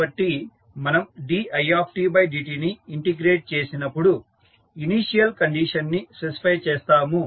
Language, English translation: Telugu, So, when we integrate the i dot we specify the initial condition